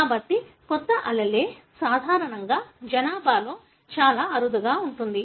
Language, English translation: Telugu, So, the new allele is normally very, very rare in the population